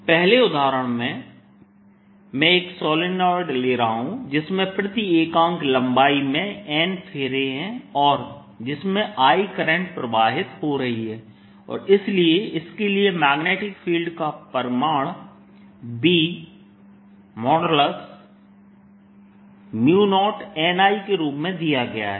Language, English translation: Hindi, in example one i'll be taking a solenoid which has n turns per unit length and is carrying current, i, so that the magnetic field for this b, its magnitude, is given as mu, zero n, i